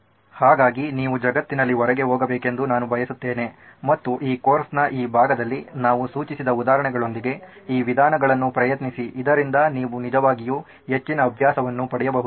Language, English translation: Kannada, So, I would like you to go out in the world and try these methods with the examples that we have suggested in this part of this course so that you can actually get more practice